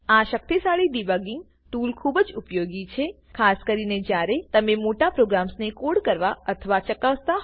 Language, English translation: Gujarati, This powerful debugging tool is very useful, especially when you have to code or test large programs